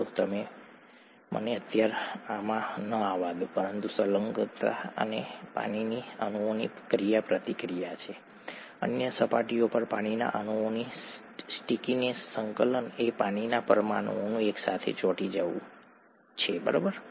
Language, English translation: Gujarati, So let me not get into this for the time being but adhesion is the interaction of water molecules, the stickiness of water molecules to other surfaces, cohesion is sticking together of water molecules themselves, okay